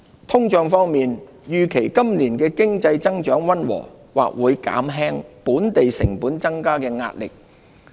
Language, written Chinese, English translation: Cantonese, 通脹方面，預期今年經濟增長溫和，或會減輕本地成本增加的壓力。, On inflation the moderate economic growth forecast for this year may reduce the pressure on local costs